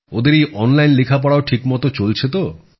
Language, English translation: Bengali, Are their online studies going on well